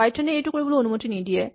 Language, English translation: Assamese, Now, unfortunately python does not allow this